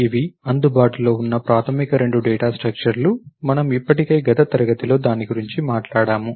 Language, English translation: Telugu, These are the basic two data structures that are available, we already talked about it in the last class